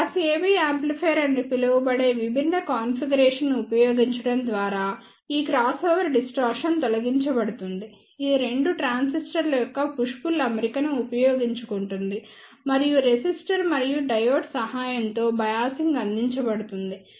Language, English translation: Telugu, This crossover distortion are eliminated by using the different configuration that is known as the class AB amplifier which makes use of the push pull arrangement of two transistors and the biasing is provided with the help of the resistor and the diode